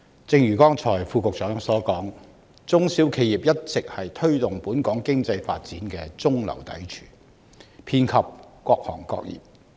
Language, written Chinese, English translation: Cantonese, 正如剛才局長所說，中小企一直是推動本港經濟發展的中流砥柱，遍及各行各業。, As the Secretary stated just now SMEs in different industries are always the major pillars of our economic development